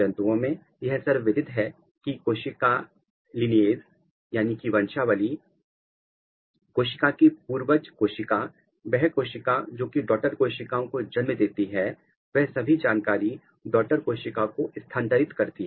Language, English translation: Hindi, In animals this is widely known that the cell lineage is playing a very important role which means that the ancestors of the cell, the cell which is giving rise to the daughter cells they are also passing the information for its identity